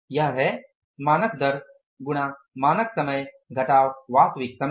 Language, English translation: Hindi, That is the standard rate into standard time, standard time minus actual time